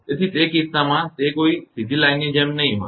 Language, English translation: Gujarati, So, in that case it will not be a just not like a straight line